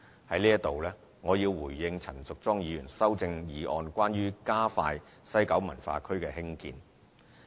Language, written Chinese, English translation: Cantonese, 在此，我要回應陳淑莊議員修正案關於加快西九文化區興建的建議。, Here I would like to respond to Ms Tanya CHANs amendment which urges for the stepping up of WKCDs construction